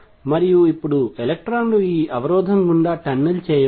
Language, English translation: Telugu, And now electrons can tunnel through this barrier